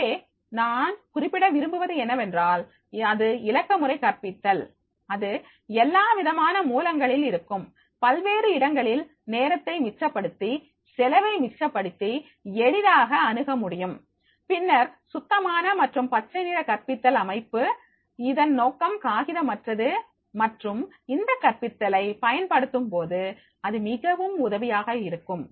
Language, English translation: Tamil, So what I want to mention is that is the digital pedagogy, that is easy to access from the all the sources at different places by saving the time, saving the cost and then there can be the clean and green pedagogy system for the purpose of because it will be paperless also, so therefore if we use this pedagogy it will be very much helpful